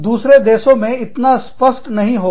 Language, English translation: Hindi, In other countries, this will not be, as clear